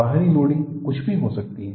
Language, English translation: Hindi, The external loading may be anything